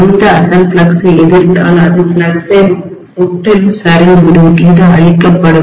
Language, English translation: Tamil, If it opposes the original flux, the original flux will be collapsing completely, it will be killed